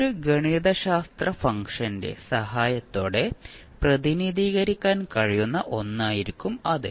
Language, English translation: Malayalam, So, that would be something which you can represent with the help of a mathematical function